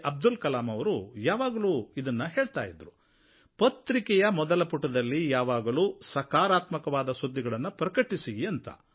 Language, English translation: Kannada, Abdul Kalam, used to always say, "Please print only positive news on the front page of the newspaper"